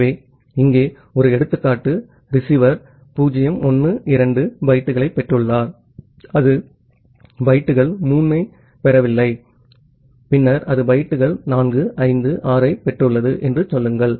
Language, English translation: Tamil, So, here is an example, say the receiver has received the bytes 0 1 2 and it has not received the bytes 3 and then it has received bytes 4 5 6 7